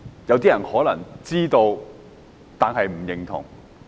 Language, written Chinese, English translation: Cantonese, 有些人可能知道，但不認同。, Some people may know the answer but refuse to acknowledge it